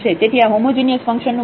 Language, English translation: Gujarati, So, these are the examples of the homogeneous functions